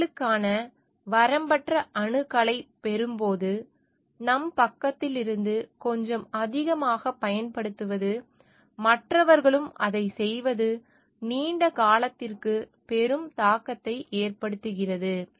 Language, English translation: Tamil, When we get unlimited access to resources, a bit of overuse from our side, which others are also doing, in the long term makes a huge impact